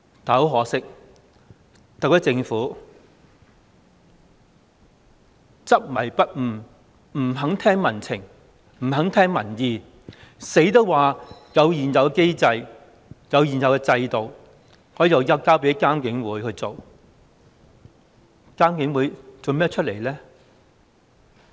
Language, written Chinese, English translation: Cantonese, 但很可惜，特區政府執迷不悟，不肯聽民情，不肯聽民意，堅持說有現有機制、現有制度，可以交給獨立監察警方處理投訴委員會處理。, But unfortunately the SAR Government is too pig - headed to listen to public sentiment and opinion . It insists that there is an existing mechanism and system for the Independent Police Complaints Council IPCC to do the job